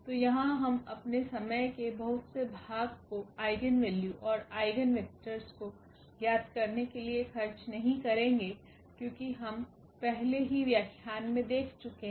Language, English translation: Hindi, So, here we will not spend much of our time for computing eigenvalues and eigenvectors, because that we have already seen in previous lectures